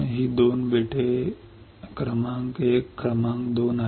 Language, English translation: Marathi, , These are 2 islands island number 1 and island number 2